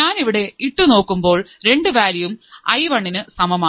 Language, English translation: Malayalam, So, I will also put my value i1 equals to both these values